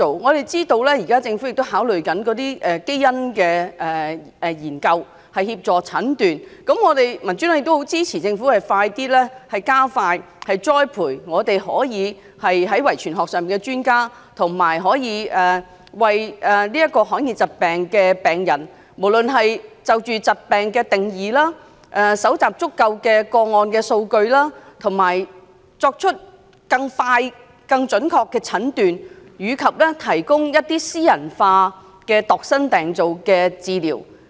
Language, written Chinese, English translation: Cantonese, 我們知道政府正考慮透過基因研究來協助診斷，民主黨很支持政府加快栽培遺傳學專家，以及就罕見疾病的定義，搜集足夠個案數據，以便作出更快、更準確的診斷，以及提供度身訂造的治療。, We know that the Government is looking into genetics researches to assist the diagnosis of rare diseases . The Democratic Party supports the Government to expedite the training of clinical genetics experts and collect sufficient case data for hammering out a definition for rare diseases so as to make quicker and more accurate diagnoses possible and provide tailor - made treatment for patients